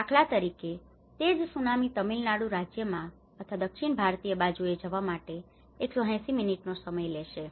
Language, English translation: Gujarati, For instance, the same tsunami it took 180 minutes to get into the Tamil Nadu state or in the southern Indian side